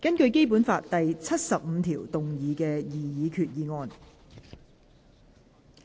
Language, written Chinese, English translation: Cantonese, 根據《基本法》第七十五條動議的擬議決議案。, Proposed resolution under Article 75 of the Basic Law